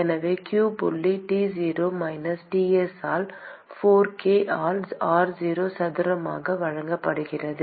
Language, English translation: Tamil, And so, q dot is given by T0 minus Ts into 4 k by r0 square